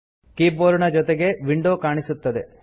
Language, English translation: Kannada, The window displaying the keyboard appears